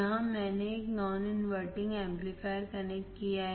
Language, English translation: Hindi, Here I have connected a non inverting amplifier